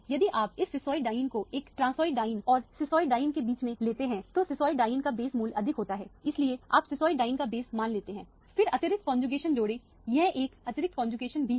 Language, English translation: Hindi, If you take this cisoid diene between a transoid diene and cisoid diene, cisoid diene has a higher base value so you take the base value of the cisoid diene, then add extra conjugation this is an additional conjugation, this is also an additional conjugation